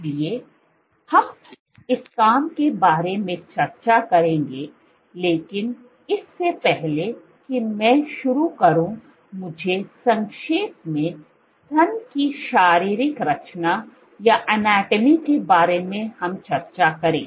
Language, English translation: Hindi, So, we will discuss this work, but before I get started let me briefly give the anatomy of the breast